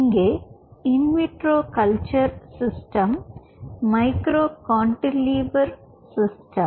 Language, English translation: Tamil, and in vitro culture system out here is micro cantilever system